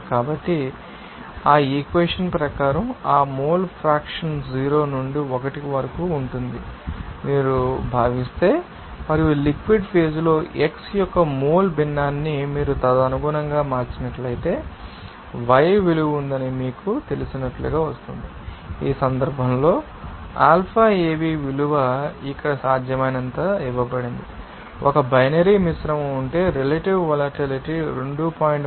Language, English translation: Telugu, So, as per that equation of then we can you know get this if you consider that that mole fraction will be 0 to 1, and if you change that mole fraction of x in the liquid phase accordingly, then it will come as you know that y value had, in this case, Alphaav value is you know, given as possible here, suppose, if there is a binary mixture, then you have to consider that relative volatility will be equal to 2